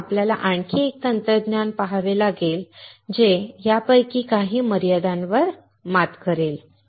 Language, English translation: Marathi, So, we have to see another technology, which will overcome some of these limitations